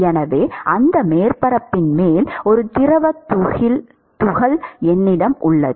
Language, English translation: Tamil, So, I have a fluid particle which is on top of that surface